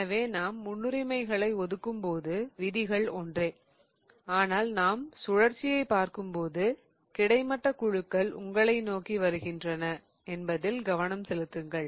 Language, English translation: Tamil, So, when we are assigning the priorities, the rules are the same but when we are looking at the rotation, please pay attention to the fact that horizontal groups are coming towards you